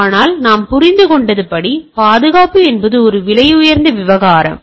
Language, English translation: Tamil, But as we understand, security is a costly affair right